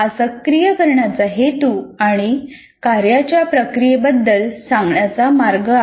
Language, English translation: Marathi, So this is the most appropriate way of saying about the purpose of activation and the process of activation